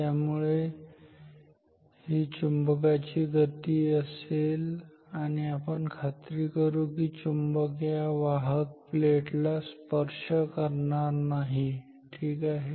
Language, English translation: Marathi, So, this is the motion of the magnet and we will make sure that the magnet does not touch doesnt touch this conductor plate ok